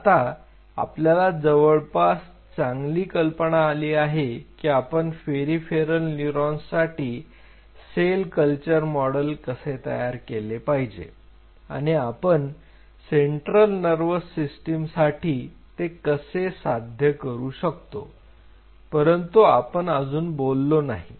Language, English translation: Marathi, So, now, you have a fairly good idea how to have a cell culture model for peripheral neurons now how to achieve for central nervous system neurons we have not talked about it yet right